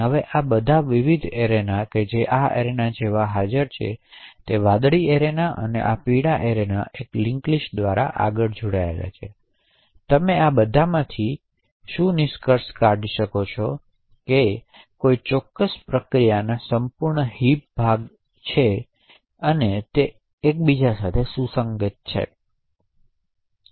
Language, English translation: Gujarati, Now all these various arena that are present such as this arena this blue arena and this yellow arena are further linked together by a link list, so what you can conclude from all of this that the entire heap segment of a particular process, it is not necessarily one contiguous segment